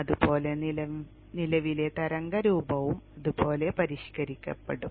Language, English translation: Malayalam, Likewise the current wave shape also will get modified something like this